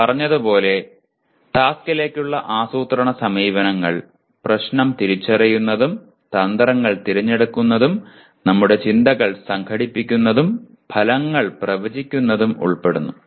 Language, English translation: Malayalam, The planning approaches to task as we said that will involve identifying the problem and choosing strategies and organizing our thoughts and predicting the outcomes